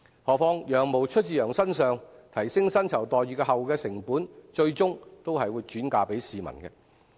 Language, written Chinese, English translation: Cantonese, 何況"羊毛出自羊身上"，提升薪酬待遇後的成本，最終還是會轉嫁市民。, As the saying wool comes from the sheep goes the rise in the cost of remuneration will finally be passed onto the public